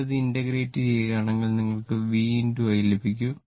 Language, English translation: Malayalam, If you just integrate this, you will get it is V into I